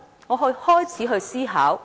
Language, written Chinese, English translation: Cantonese, 然後，我開始思考。, So I started to think about all this